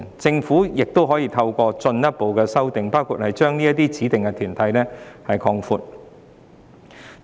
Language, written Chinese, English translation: Cantonese, 政府可以透過進一步修訂法例，包括擴闊指明團體的範圍。, The Government may introduce further legislative amendments to inter alia expand the scope of specified bodies